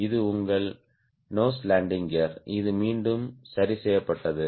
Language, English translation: Tamil, this is your nose landing gear, which is again fixed